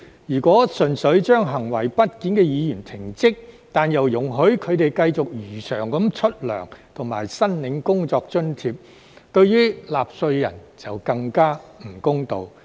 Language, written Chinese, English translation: Cantonese, 如果純粹將行為不檢的議員停職，但又容許他們繼續如常領取工資及申領工作津貼，對納稅人就更加不公道。, If a Member who has committed disorderly conduct is only suspended from service for disorderly conduct but is allowed to continue to get paid and claim working allowances as usual this would be even more unfair to taxpayers